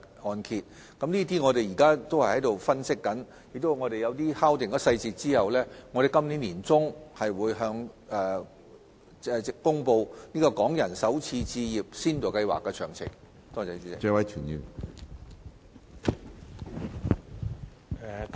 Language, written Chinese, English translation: Cantonese, 我們現正就這方面進行分析，在敲定有關細節後，會在今年年中公布港人首次置業先導計劃的詳情。, We are currently conducting analysis in this regard and after finalizing the particulars we will announce the details of the Starter Homes Pilot Scheme for Hong Kong Residents in the middle of this year